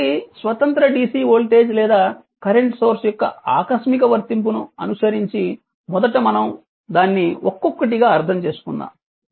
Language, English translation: Telugu, So, following a your what you call sudden application of an independent dc voltage or current source first we will understand this one by one